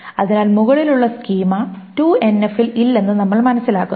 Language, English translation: Malayalam, So we understand that above the schema is not in into an f